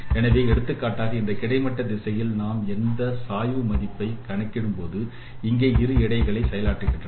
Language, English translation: Tamil, So, for example, in the horizontal directions when we are computing this gradient, we are giving weights of two here